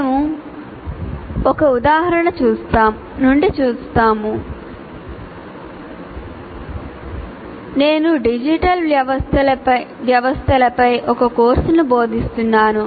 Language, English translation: Telugu, We will see from the example if I am, let's say I am teaching a course on digital systems